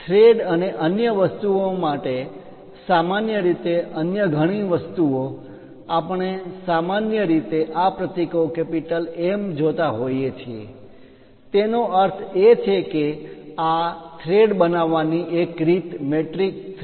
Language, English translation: Gujarati, Many other things like typically for threads and other things, we usually see these symbols M; that means, metric thread one way of creating these threads